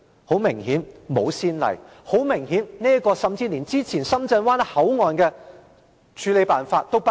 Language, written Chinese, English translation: Cantonese, 很明顯，沒有先例；很明顯，這個甚至連之前深圳灣口岸的處理辦法也不如。, Obviously there is no precedent and the handling of MPA is even inferior to the handling of the Shenzhen Bay Port